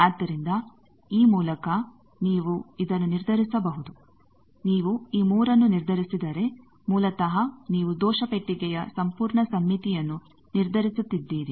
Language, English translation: Kannada, So, by that you can determine this if you determine this 3, basically you are determining the complete symmetric of the error box